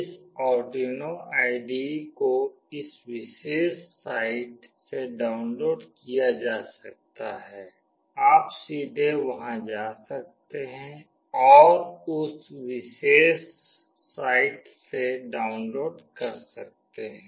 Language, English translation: Hindi, This Arduino IDE can be downloaded from this particular site, you can directly go there and download from that particular site